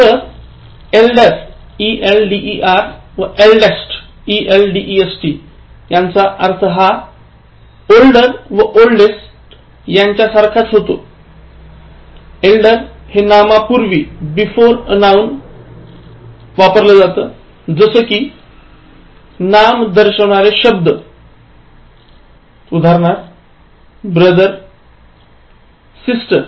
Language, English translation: Marathi, While elder an eldest have the same meaning as older and oldest, use elder before a noun, that is before a naming word like, brother, sister